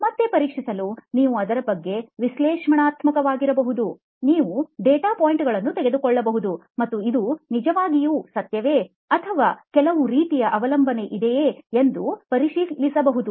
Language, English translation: Kannada, Again to be tested, you can be analytical about it, you can take data points and verify if this is really the truth or is there some kind of dependency